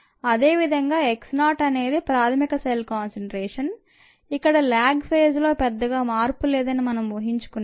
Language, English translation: Telugu, similarly, x naught is the initial cell concentration, ah, assuming this, not much of a change in the ah in the lag phase